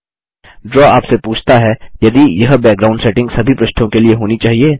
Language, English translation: Hindi, Draw asks you if this background setting should be for all pages